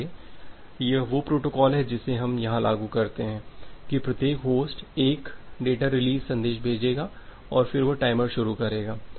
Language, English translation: Hindi, So, that is the protocol we implement here that every individual host so host 1 it will send the data release message and then it will start the timer